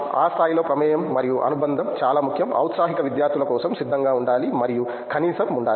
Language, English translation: Telugu, That level of involvement and attachment is very important, something that in aspiring students should be prepared for and have the at least